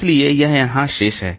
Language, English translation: Hindi, So, that is there